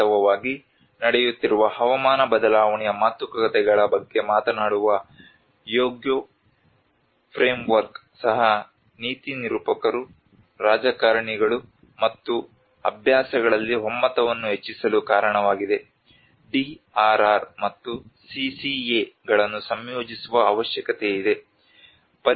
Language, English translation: Kannada, And in fact, the Hyogo framework for action which talks about for the ongoing climate change negotiations have also led to the growing consensus among the policymakers, politicians and practice that there is a great need to integrate DRR and CCA